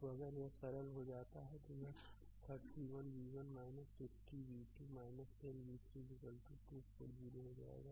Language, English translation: Hindi, So, if you simplify it will become 31 v 1 minus 15 v 2 minus 10 v 3 is equal to 2 40